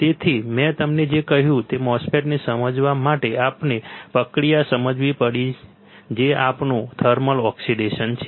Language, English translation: Gujarati, So, for understanding MOSFET what I told you, we had to understand the process, which is our thermal oxidation